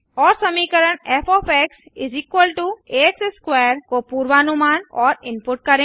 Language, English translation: Hindi, And to predict and input the function f= a x^2